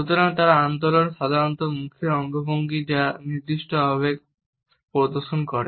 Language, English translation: Bengali, So, they are the movements, usually facial gestures which display specific emotion